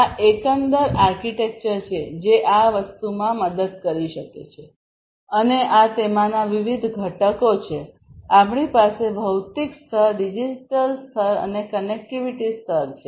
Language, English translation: Gujarati, So, this is the overall architecture that can help in this thing and these are the different components in it; we have the physical layer, we have the digital layer and we have the connectivity layer